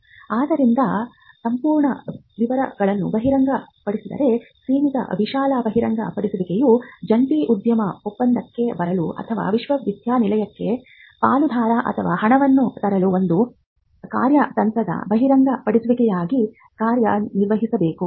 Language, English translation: Kannada, So, the limited broad disclosure without disclosing the details of how it is being done should work as a strategic disclosure for instance for getting into a joint venture agreement or to bring a partner or funding for the university